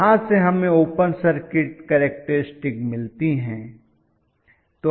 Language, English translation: Hindi, Because what we get from here is the open circuit characteristics